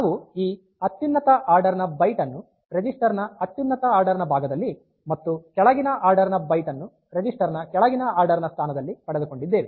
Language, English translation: Kannada, So, we have got this highest order byte in highest order portion of the register and the lowest order byte in the lowest order position of the register